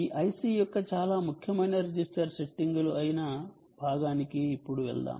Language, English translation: Telugu, let us now go to a very important part, which is the register settings of this i c